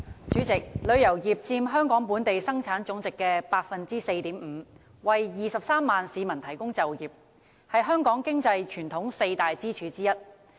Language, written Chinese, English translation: Cantonese, 主席，旅遊業佔香港本地生產總值的 4.5%， 為23萬市民提供就業，是香港傳統的四大經濟支柱之一。, President the tourism industry which contributes to 4.5 % of Hong Kongs GDP and employs 230 000 people is one of the four traditional economic pillars of Hong Kong